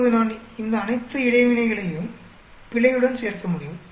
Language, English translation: Tamil, Now I can add all these interactions with the error